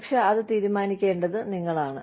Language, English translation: Malayalam, But, you have to decide that